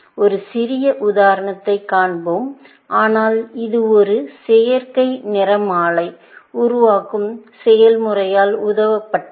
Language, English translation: Tamil, We will see a small sample example, but this was aided by a process of generating a synthetic spectrogram